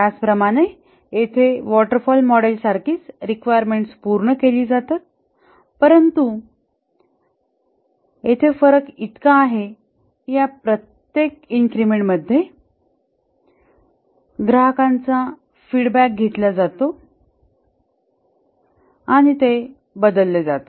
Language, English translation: Marathi, The similarity here with the waterfall model is that the requirements are collected upfront, but the difference is that each of this increment, customer feedback is taken and these change